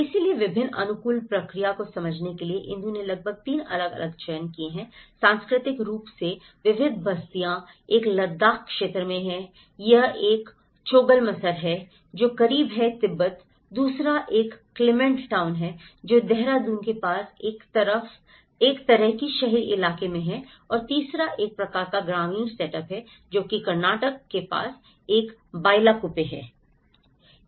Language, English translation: Hindi, So, in order to understand different adaptation process Indu have selected about 3 different culturally diverse settlements, one is in Ladakh area, it is a Choglamsar which is close to the Tibet, the second one is a Clement town which is in a kind of urban locality near Dehradun and the third one is a kind of rural setup which is a Bylakuppe where it is near Karnataka